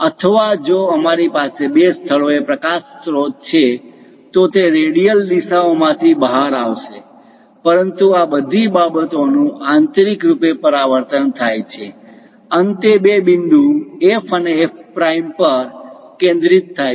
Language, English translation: Gujarati, Or if we have light sources at two locations, they will be emanating in radial directions; but all these things internally reflected, finally focus two points F and F prime